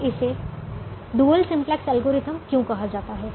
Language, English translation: Hindi, now why is it called dual simplex algorithm